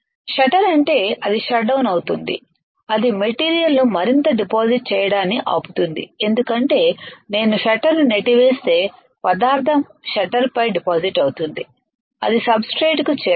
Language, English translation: Telugu, Shutter; that means, it will shut down it will stop the material to further deposit, because if I push the shutter the material will get deposited on the shutter it will not reach the it will not reach the substrate